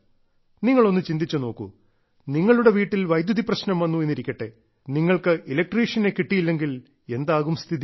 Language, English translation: Malayalam, Think about it, if there is some problem with electricity in your house and you cannot find an electrician, how will it be